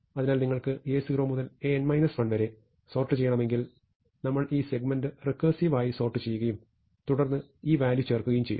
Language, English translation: Malayalam, So, if you want to sort A 0 to A n minus 1, then what we are doing is, we are recursively sorting this segment, and then inserting this value